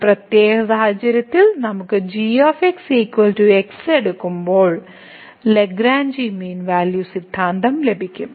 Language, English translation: Malayalam, So, in this particular case when we take is equal to we will get the Lagrange mean value theorem